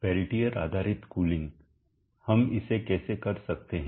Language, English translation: Hindi, Peltier based cooling, how do we do it